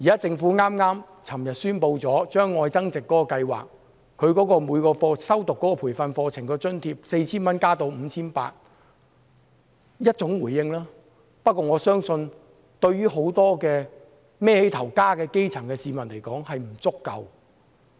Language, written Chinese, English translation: Cantonese, 政府昨天宣布把"特別.愛增值"計劃提供予每名修讀培訓課程學員的津貼由 4,000 元增加至 5,800 元，這是一種回應，不過我相信，對於很多養家的基層市民來說是不足夠的。, The government announced yesterday that the subsidy provided to each trainee under the Love Upgrading Special Scheme would be increased from 4,000 to 5,800 . This is a response but I believe it is not enough for many grassroots citizens who have to support their families